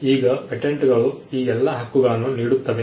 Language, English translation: Kannada, Now, patents offer all these sets of rights